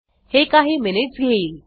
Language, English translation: Marathi, This will take few minutes